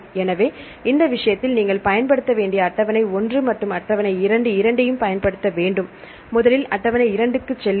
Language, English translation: Tamil, So, in this case you have to use table 1 and table 2 the both the tables you have to use, first go to table 2 this may be consider table 2